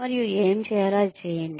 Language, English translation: Telugu, And do, what is required to be done